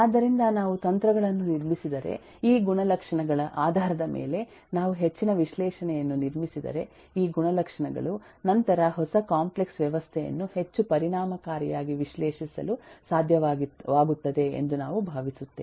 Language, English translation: Kannada, so if we build up strategies, if we build up further analysis based on these properties, based on these characteristics, then we hope to be able to eh analyze a new complex system lot more effectively